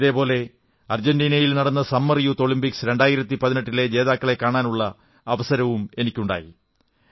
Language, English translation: Malayalam, Similarly, I was blessed with a chance to meet our winners of the Summer youth Olympics 2018 held in Argentina